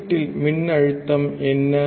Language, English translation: Tamil, What is the voltage at the input